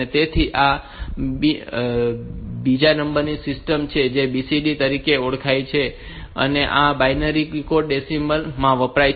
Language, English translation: Gujarati, So, there is another number system which is known as BCD which stands for binary coded decimal